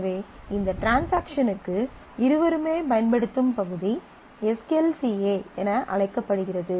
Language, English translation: Tamil, So, the area that is used by both for this transaction is known as SQLCA